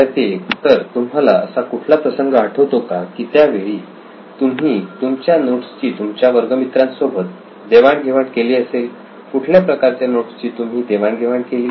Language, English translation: Marathi, Obviously So can we remember any time where you’ve shared your notes with your friends like what kind of a note you would be sharing